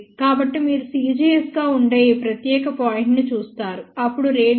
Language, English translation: Telugu, So, you look at this particular point which will be c gs, then 0